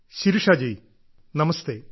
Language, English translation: Malayalam, Shirisha ji namastey